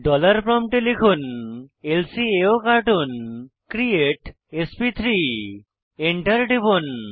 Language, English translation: Bengali, At the dollar prompt type lcaocartoon create sp3 Press Enter